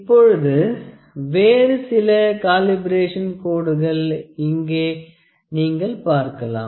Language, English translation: Tamil, However, the certain other calibration lines that you can see here